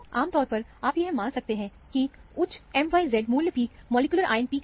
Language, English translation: Hindi, Normally, you can assume that, the highest m by z value peak is the molecular ion peak